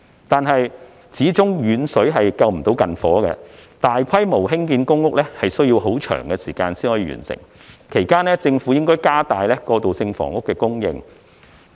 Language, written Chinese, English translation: Cantonese, 但是，遠水始終不能救近火，大規模興建公屋需要很長時間完成，其間政府應加大過渡性房屋的供應。, However distant water cannot put out a nearby fire . Given the long lead time for completing the large - scale public housing construction the Government should increase the supply of transitional housing in the meantime